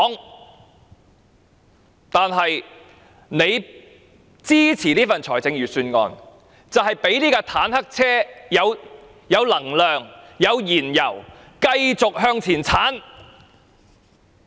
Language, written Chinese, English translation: Cantonese, 如果他們支持這份預算案，便等於讓這部坦克車有能量和燃油繼續向前衝。, If Members support this Budget this is tantamount to giving energy and adding fuel to this tank to run forward